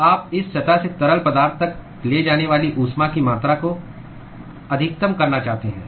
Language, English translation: Hindi, So, you want to maximize the amount of heat that is transported from this surface to the fluid